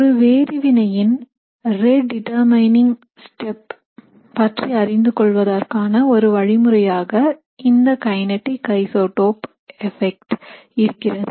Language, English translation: Tamil, So in kinetic isotope effects, it is a method that gives you insights into the rate determining step for a particular reaction